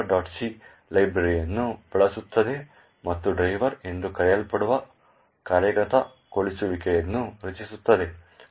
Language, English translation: Kannada, c uses this library and creates the executable called driver